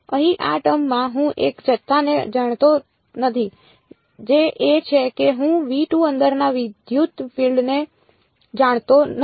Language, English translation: Gujarati, In this term over here I do not know one quantity which is I do not know the electric field inside v 2